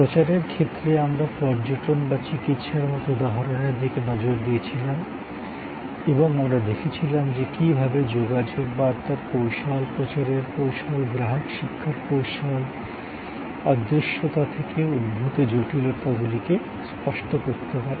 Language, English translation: Bengali, In promotion, we looked at number of examples like tourism or like a medical treatment and we saw how the communication strategy, the promotion strategy, the customer education strategy can tangible the complexities arising out of intangibility